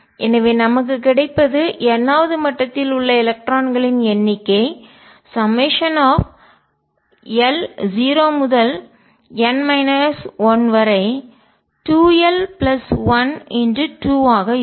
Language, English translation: Tamil, So, what we get is number of electrons in the nth level is going to be summation 2 l plus 1 times 2 l equal to 0 to n minus 1